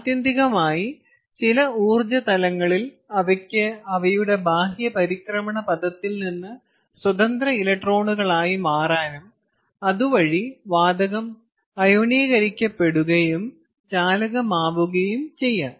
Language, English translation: Malayalam, ok, they can fly off from their outer orbitals as and become free electrons and thereby the gas becomes ionized and becomes conducting